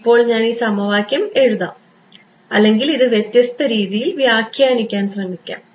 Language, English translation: Malayalam, Now let me try to write this equation or interpret this in different way ok